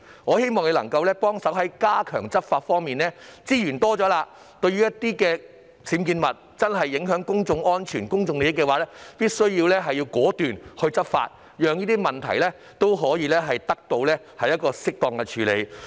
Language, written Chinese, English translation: Cantonese, 我希望局長能夠加強執法，利用騰出的資源，針對確實會影響公眾安全和公眾利益的僭建物果斷執法，讓問題得到適當處理。, I hope that the Secretary will strengthen law enforcement and utilize the spare resources to take decisive law enforcement actions against UBWs which will actually affect public safety and public interests so that the problems can be properly solved